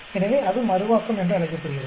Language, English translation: Tamil, So, that is called Interaction